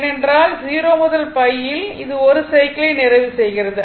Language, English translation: Tamil, I told you that because, in 0 to pi, it is completing 1 cycle